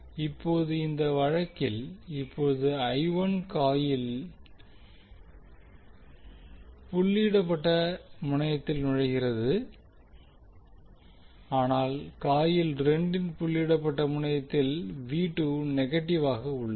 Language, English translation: Tamil, Now in this case now I1 is entering the doted terminal of coil 1 but the V2 is negative at the doted terminal of coil 2